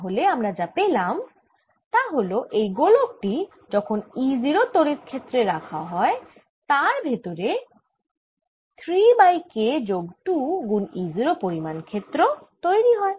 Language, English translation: Bengali, so what we have found is that in this sphere, when i put it in this field e zero, field inside becomes three over k plus two e zero